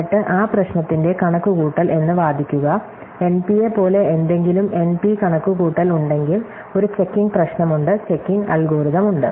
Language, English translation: Malayalam, And then argue that the computation of that problem, so if something as NP, there is an NP computation, there is a checking problem, checking algorithm